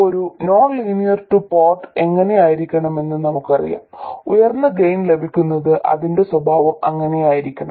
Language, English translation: Malayalam, We now know what a nonlinear 2 port must look like, that is what its characteristics must be in order to have a high gain